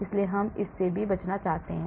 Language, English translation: Hindi, So, we want to avoid that also